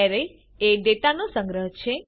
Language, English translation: Gujarati, Arrays are a collection of data